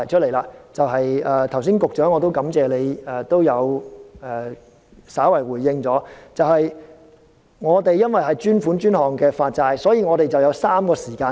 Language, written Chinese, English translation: Cantonese, 我感謝局長剛才稍為作出回應，由於這是專款專項的發債安排，所以有3個時間點。, I thank the Secretary for giving a brief response just now . Since this is a bond issuance programme intended to provide dedicated funds for dedicated purpose three points in time are therefore involved